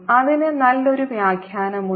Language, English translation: Malayalam, there's a nice interpretation to it